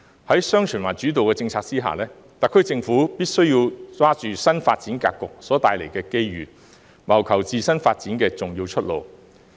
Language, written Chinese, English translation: Cantonese, 在"雙循環"主導政策下，特區政府必須把握新發展格局所帶來的機遇，謀求自身發展的重要出路。, Under the policy steered by dual circulation the SAR Government has to seize the opportunities arising from the countrys new development pattern and find the key way out for its own development